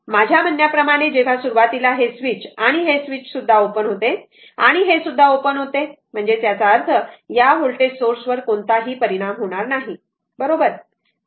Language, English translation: Marathi, So, at I mean when this your what you call that this initially this switch this was also open and this was also open so; that means, this voltage source has no effect this voltage source has no effect right